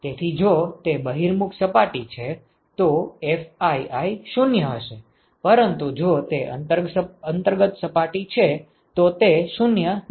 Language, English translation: Gujarati, So, if it is a convex surface, then Fii will be 0, but is the concave surface it is not 0